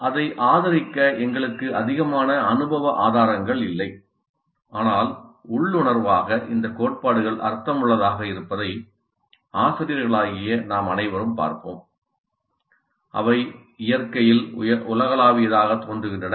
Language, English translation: Tamil, We do not have too much of empirical evidence to back it up but intuitively all of us teachers would see that these principles make sense